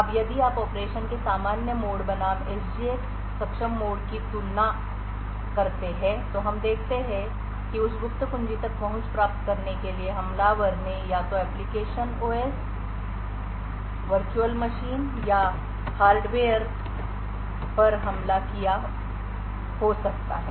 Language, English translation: Hindi, Now if you compare the normal mode of operation versus the SGX enabled mode of operation we see that an attacker could have attacked either the application OS, virtual machine or the hardware in order to gain access to that secret key